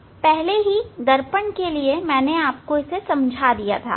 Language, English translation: Hindi, I explained already for in case of mirror